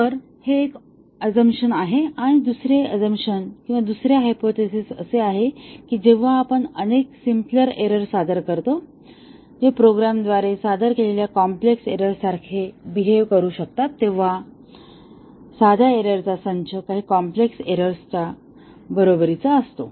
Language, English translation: Marathi, So, that is one of the assumption and the second assumption or the second hypothesis is that when we introduce several simple errors that can behave like a complex error introduced by the programmer, a set of simple errors is equal to some complex error